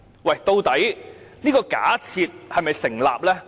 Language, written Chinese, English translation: Cantonese, 可是，這個假設是否成立呢？, Nevertheless does this argument hold water?